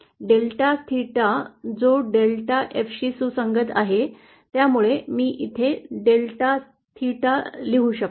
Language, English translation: Marathi, Delta theta which corresponds to delta F, so I can write here delta theta also